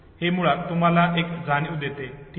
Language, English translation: Marathi, So this basically gives us a feel, okay